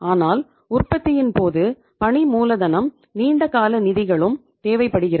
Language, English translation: Tamil, But during the manufacturing process the working capital is required along with the long term funds